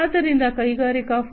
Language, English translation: Kannada, So, Industry 4